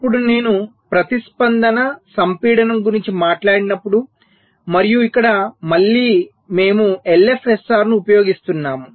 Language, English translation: Telugu, ok, now, when i talk about response compaction and here again we are using l, f, s, r